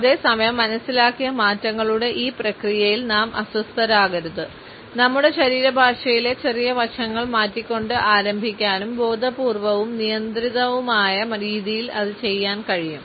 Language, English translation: Malayalam, At the same time we should not be overwhelmed by this process of perceived changes we can start by changing a smaller aspects in our body language and can do it in a conscious and controlled manner